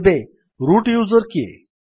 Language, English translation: Odia, Now who is a root user